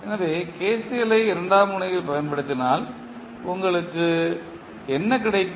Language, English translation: Tamil, So, if you apply KCL at node 2 what you get